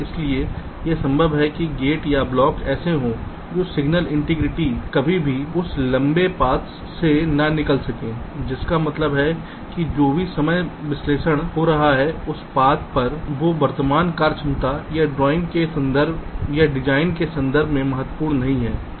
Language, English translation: Hindi, so it is possible that the gates or the blocks are such that signal transitions can never flow through that long path, which means whatever timing analysis were carrying out on that path, that is not important in the context of the present functionality or the design